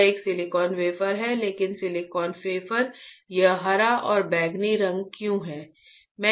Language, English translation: Hindi, This is a silicon wafer, but why silicon wafer is this green and purplish color right